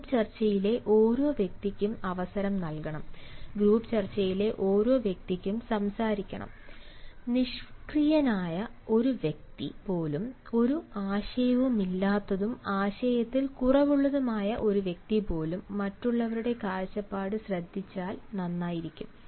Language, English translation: Malayalam, every person in the group discussion should be given an opportunity and every person in the group discussion has to speak, and even a person who is inert, even a person who does not have any idea and run sort of idea can do well if he listens to others point of view